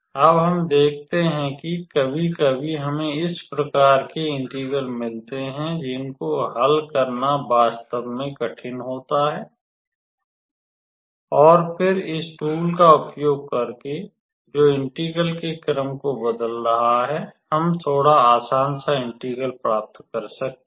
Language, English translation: Hindi, Now we see that sometimes we come across with integrals which are really difficult to evaluate and then, just using this tool that is changing the order of integration we might end up getting a little bit in easier integral to evaluate